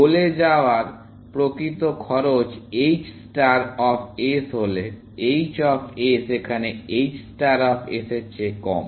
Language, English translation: Bengali, If the actual cost of going to the goal is h star of s, h of s is less than h star of s